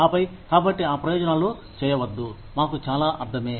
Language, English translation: Telugu, And then, so these benefits, do not make, so much sense to us